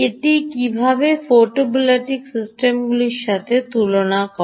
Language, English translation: Bengali, ok, how does it compare with a photovoltaic systems